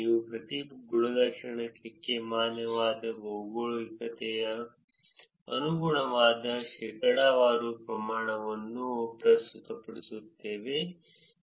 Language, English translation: Kannada, We present for each attribute the percentage of it that corresponds to the valid geographic